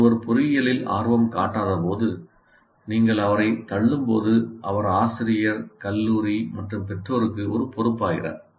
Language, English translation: Tamil, So when somebody is not interested in engineering and you push through him, he becomes a liability, both to the teacher and the college and to the parents